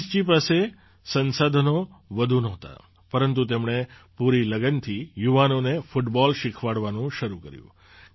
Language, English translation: Gujarati, Raees ji did not have many resources, but he started teaching football to the youth with full dedication